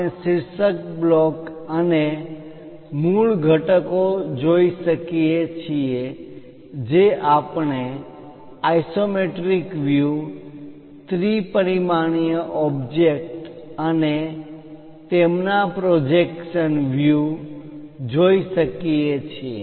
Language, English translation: Gujarati, we can see the title block and the basic components we can see the isometric views, the three dimensional objects and their projectional views we can see it